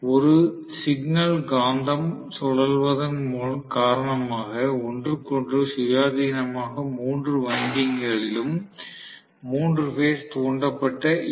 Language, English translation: Tamil, So, I am going to have three phase induce EMF in all the three windings, independent of each other because of one signal magnet rotating